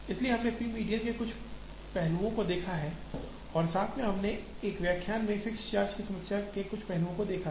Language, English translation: Hindi, So, we have seen some aspects of p median and also we have seen some aspect of fixed charge problem in an earlier lecture